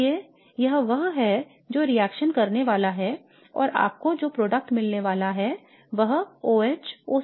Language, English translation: Hindi, So therefore this is the one that is going to react and the product that you are going to get would be OH OCH C H